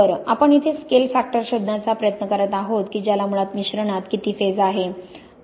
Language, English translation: Marathi, Well, we are trying to find here is what is called the scale factor which is basically how much of the phase we have in the mixture